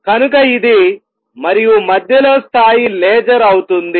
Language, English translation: Telugu, So, is this and level in the middle onward will be laser